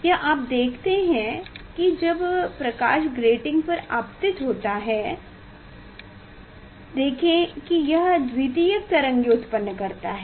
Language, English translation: Hindi, this you see this when light falls on the grating; see it generates secondary wavelets